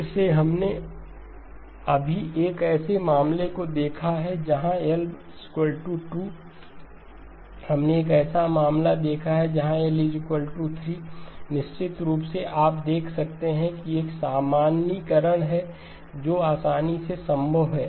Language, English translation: Hindi, Again we have just now looked at a case where L equal to 2, we saw a case when L equal to 3, of course you can see that there is a generalization that is easily possible